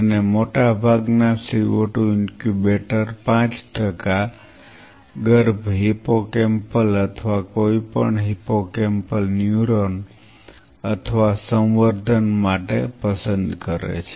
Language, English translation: Gujarati, And most of the co 2 incubator prefer 5 percent co 2 for embryonic hippocampal or any of the hippocampal neuron or culture